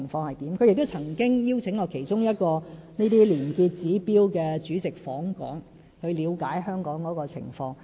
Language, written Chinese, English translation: Cantonese, 例如我們亦曾邀請其中一位廉潔指標主席訪港，以了解香港的情況。, For example we once invited the chairman of a corruption - free rating agency to visit Hong Kong in order to get a better understanding of the situation here